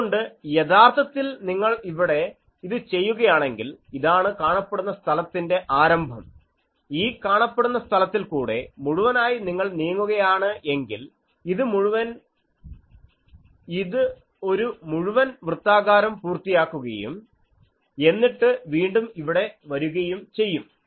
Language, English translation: Malayalam, So, here actually if you do this that, so this is the start of visible space and throughout the visible space, if you moves, it moves completes one circle and then come one circle once then again come here